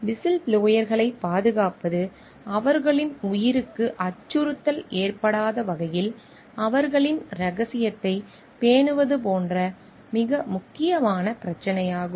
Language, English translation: Tamil, So, protecting of the whistleblowers is also very critical issue like maintaining their secrecy, so that their life is not threatened